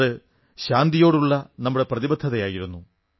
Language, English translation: Malayalam, This in itself was our commitment & dedication towards peace